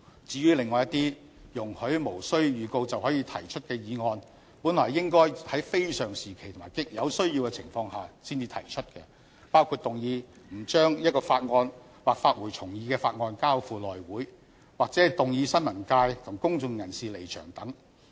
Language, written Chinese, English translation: Cantonese, 至於另外一些容許無經預告便可提出的議案，本來應該是在非常時期及有需要的情況下才提出，包括動議不須將一項法案或發回重議的法案交付內務委員會，或動議新聞界及公眾人士離場等。, Regarding other motions that can be moved without notice they should be propose only at very unusual times or out of necessity . These include the motion that a bill or the bill returned for reconsideration be not referred to House Committee and the motion to request members of the press and of the public to withdraw